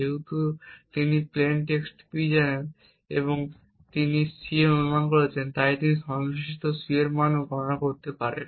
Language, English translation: Bengali, Since he knows the plane text P and he has guessed C, he can also compute the corresponding C value